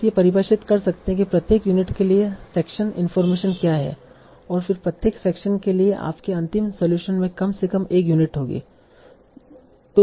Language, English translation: Hindi, So you can define what is the section information for each of the unit and then say for each section for me you will have at least one unit in your final solution